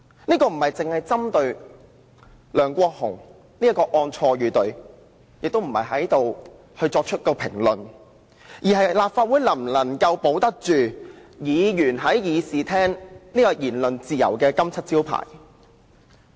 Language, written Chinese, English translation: Cantonese, 這事情並非針對梁國雄議員一案的錯與對，亦不是要作出任何評論，而是關乎立法會能否保住議員在議事廳享有言論自由這個金漆招牌。, This issue is neither related to the rights and wrongs as regards Mr LEUNG Kwok - hungs case nor any comments to be made . Rather it concerns whether the Council can defend its cherished reputation for allowing Members to enjoy freedom of speech in the Chamber